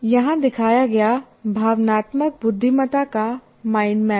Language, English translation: Hindi, Now, this is a kind of a mind map of emotional intelligence